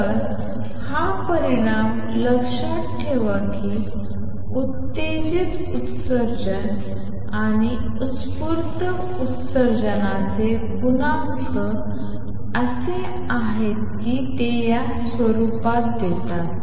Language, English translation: Marathi, So, keep this result in mind that the coefficient for stimulated emission and spontaneous emission are as such that they give u nu T in this form